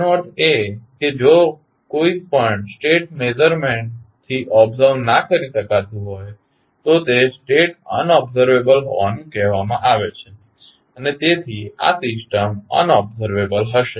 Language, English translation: Gujarati, That means that if anyone of the states cannot be observed from the measurements that is the output measurements, the state is said to be unobservable and therefore the system will be unobservable